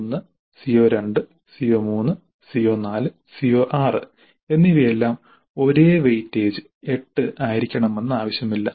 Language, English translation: Malayalam, It is not necessary that CO1, CO2, CO3, CO4 and CO6 all must carry the same weight of 8